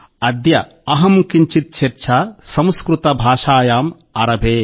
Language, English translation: Telugu, Adya Aham Kinchhit Charcha Sanskrit Bhashayaam Aarabhe